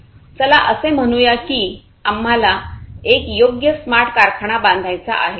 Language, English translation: Marathi, So, let us say that we want to build a smart factory right